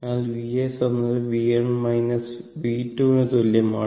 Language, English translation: Malayalam, So, V s will be is equal to your V 1 minus V 2